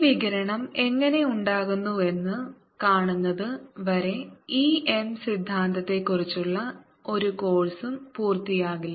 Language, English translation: Malayalam, no course on e m theory is going to complete until we see how this radiation arise this